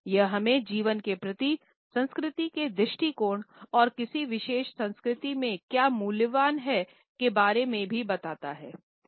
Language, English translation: Hindi, It also tells us about a culture’s approach to life and what is valuable in a particular culture